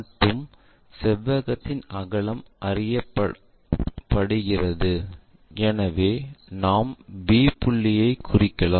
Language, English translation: Tamil, And rectangle breadth is known, so we will be in a position to locate b point